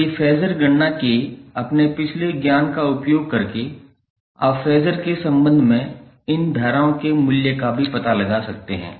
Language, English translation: Hindi, So, using your previous knowledge of phasor calculation you can find out the value of these currents in terms of phasor also